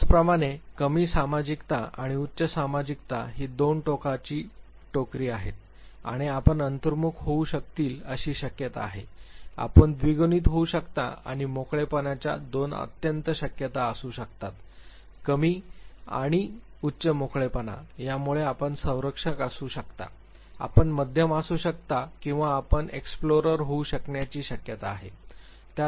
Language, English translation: Marathi, Similarly, low sociability and high sociability are two extreme ends and the possibilities are you could be introvert, you could be ambivert, and you could be extrovert, the two extreme possibilities of openness; low and high openness; so the possibilities are that you could be a preserver, you could be moderate or you could be an explorer